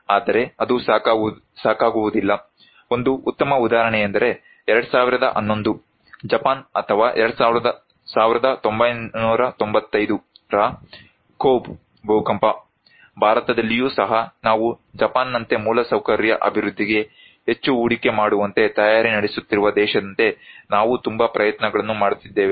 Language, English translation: Kannada, But that is not enough; the one great example is 2011 Japan or 1995 Kobe earthquake, also in India, we have giving so much effort, like a country which is so prepare like Japan investing so much on infrastructure development